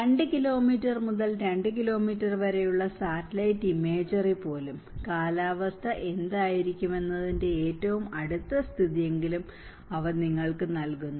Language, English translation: Malayalam, So, even the satellite imagery of 2 kilometre by 2 kilometre, so they gives you an at least the nearest status of what is the weather going to be